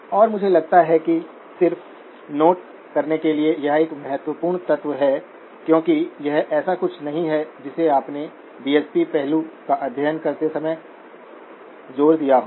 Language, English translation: Hindi, And I think that is an important element to just make note of because that is not something that you would have emphasised when studying the DSP aspect